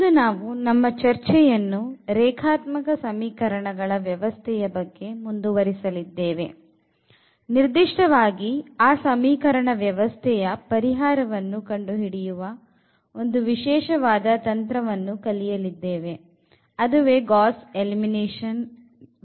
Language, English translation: Kannada, We will be continuing our discussion on System of Linear Equations and in particular, today we will look for the solution techniques that is the Gauss Elimination Method